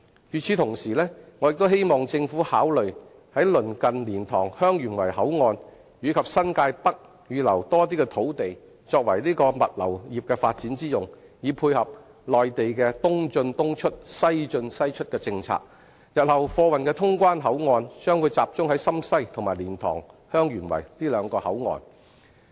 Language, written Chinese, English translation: Cantonese, 與此同時，我也希望政府考慮鄰近蓮塘/香園圍口岸及新界北預留更多的土地作為物流業發展之用，以配合內地的"東進東出，西進西出"的政策，日後貨運的通關口岸將集中在深西及蓮塘/香園圍兩個口岸。, Meanwhile I also hope that the Government can consider designating more land near the LiantangHeung Yuen Wai Border Control Point and New Territories North for development of the logistics industry so as to dovetail with the Mainland policy of East in - East out West in - West out . In the future Shenzhen West and LiantangHeung Yuen Wai will be the two main control points for cargo transport